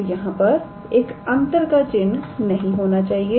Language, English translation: Hindi, So, there should not be any minus sign